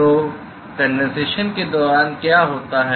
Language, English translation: Hindi, So, what happens during condensation